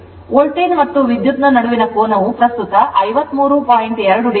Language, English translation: Kannada, So, angle between the voltage as current is 53